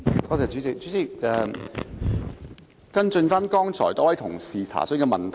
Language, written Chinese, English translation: Cantonese, 代理主席，我想跟進多位議員詢問的問題。, Deputy President I wish to follow up a question asked by various Members